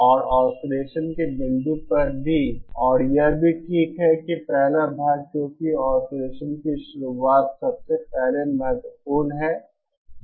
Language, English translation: Hindi, And also at the point of [osc] and also okay that is first part because the start up of oscillation is first important